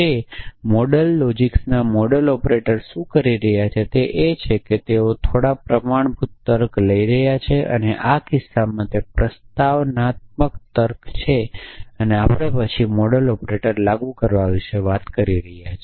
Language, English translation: Gujarati, So, what modal operators at modal logics are doing is that they are taking some standard logic and in our case is propositional logic that we are talking about then applying modal operators